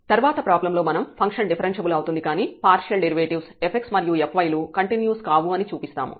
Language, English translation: Telugu, Next problem, here we will show that the function is differentiable, but f x and f y the partial derivatives are not continuous